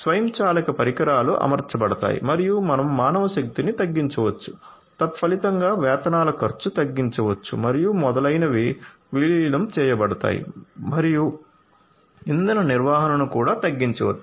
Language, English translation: Telugu, So, automated devices would be you know deployed and you know you can have reduced you know manpower consequently reduced wages and so on to be incorporated and also you know reduced fuel reduced maintenance and so on